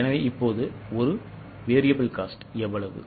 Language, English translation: Tamil, So, how much is a VC now